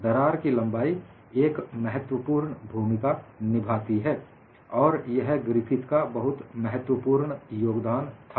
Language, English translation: Hindi, The length of the crack also plays a role that was a key contribution by Griffith